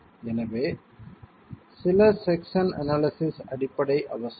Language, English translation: Tamil, So some section analysis basis is essential